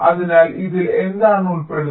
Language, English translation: Malayalam, so what does this involve